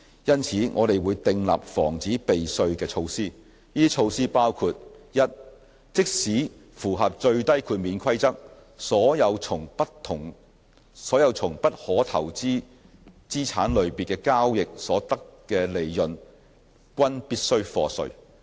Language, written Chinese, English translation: Cantonese, 就此，我們會訂立防止避稅的措施。這些措施包括： a 即使符合最低豁免規則，所有從不可投資資產類別交易所得的利潤均必須課稅。, In this connection we will put in place the following measures to prevent tax avoidance a even if the de minimis limit is met profits derived from transactions of the non - permissible asset classes will be subject to tax